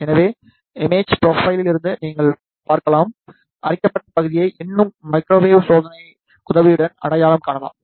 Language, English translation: Tamil, So, you can see from the image profile, the corroded region can still be identified with the help of microwave testing